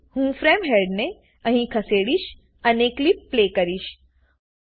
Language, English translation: Gujarati, So I will move the frame head here and play the clip